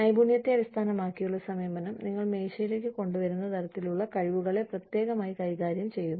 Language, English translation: Malayalam, Skill based approach deals specifically with, the kinds of skills, you bring to the table